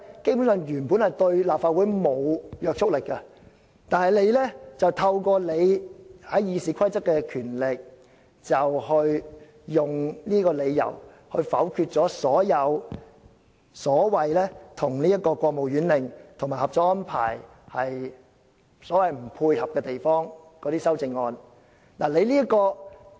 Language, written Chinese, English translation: Cantonese, 以上兩者原本對立法會沒有約束力，但透過《議事規則》賦予你的權力，你以不符合國務院令及《合作安排》這個理由否決了一些修正案。, Initially these two documents are not binding on the Legislative Council but with the powers conferred upon you by the Rules of Procedure you have ruled some amendments inadmissible by reason that they are inconsistent with the Order of the State Council and the Co - operation Arrangement